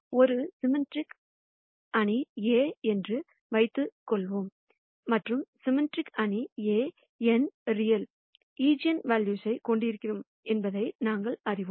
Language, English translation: Tamil, Let us assume that I have a symmetric matrix A; and the symmetric matrix A, we know will have n real eigenvalues